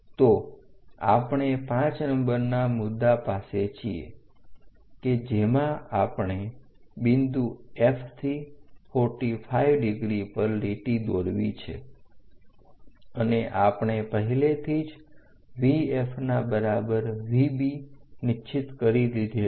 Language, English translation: Gujarati, So, we are at point number 5, where we have drawn a 45 degree line, this is 45 degree line from point F, and already we have located V F equal to V B